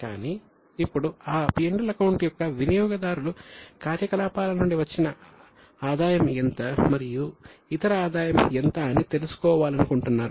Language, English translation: Telugu, But now the users of that P&L account want to know how much is a revenue generated from operations and how much is other income